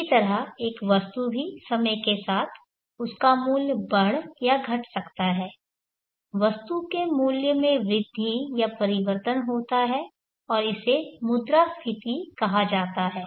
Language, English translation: Hindi, Likewise an item also with time its value then increase or decrease there is growth or change in the value of the item and it is called inflation